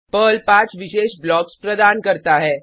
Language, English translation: Hindi, Perl provides 5 special blocks